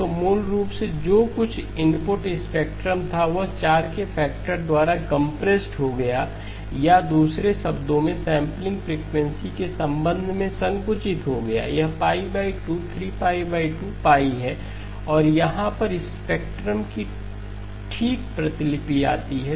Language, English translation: Hindi, So basically whatever was the input spectrum, it got compressed by a factor of 4 or in other words with respect to the sampling frequency this is pi by 2, 3pi by 2, pi and here comes the copy of the spectrum okay